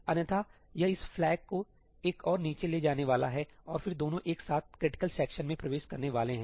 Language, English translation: Hindi, Otherwise, it is going to move this flag one down and then both of them are going to enter the critical section together